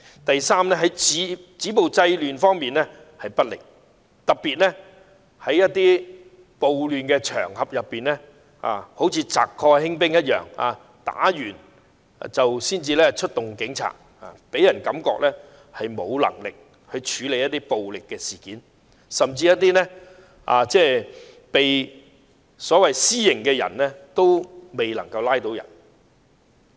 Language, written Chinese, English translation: Cantonese, 第三，止暴制亂不力，特別在暴亂場合中，好像賊過興兵一樣，搗亂或衝突後才出動警察，予人感覺政府沒有能力處理暴力事件，甚至還未拘捕一些行使私刑的人。, Third there have not been enough efforts to effectively stop violence and curb disorder . Especially at the riot scenes as the idiom goes the troops will never come before the bandits have fled . Police officers arrive at the scene only after the vandalizing acts have been completed or when the conflicts are over